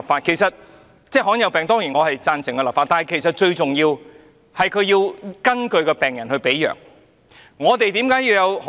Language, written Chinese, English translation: Cantonese, 我當然贊成就罕見疾病立法，但其實最重要的是要根據病人的病情來配藥。, Of course I support legislation on rare diseases but prescribing the right drugs to patients according to their conditions is actually of utmost importance